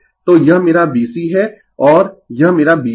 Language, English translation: Hindi, So, this is my B C and this is my B L right